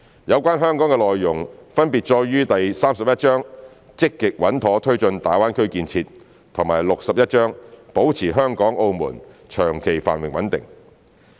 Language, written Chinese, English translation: Cantonese, 有關香港的內容分別載於第三十一章的"積極穩妥推進粵港澳大灣區建設"和第六十一章"保持香港、澳門長期繁榮穩定"。, Contents relating to Hong Kong are in Chapter 31 Take Forward the Guangdong - Hong Kong - Macao Greater Bay Area Development Actively and Steadily and Chapter 61 Maintain the Long - term Prosperity and Stability of Hong Kong and Macao